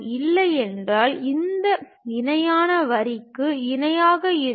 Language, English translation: Tamil, Otherwise, parallel to this line this line also parallel